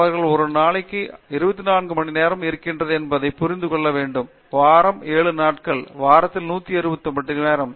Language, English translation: Tamil, They need to understand that there are 24 hours a day, there are 7 days a week, 168 hours a week